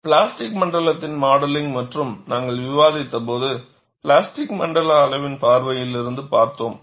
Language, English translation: Tamil, When we discussed modeling of plastic zone, we looked at from the plastic zone size consideration